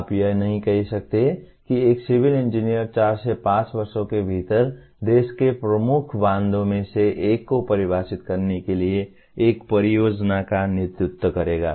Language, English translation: Hindi, You cannot say a Civil Engineer will lead a project to define let us say one of the major dams in the country within four to five years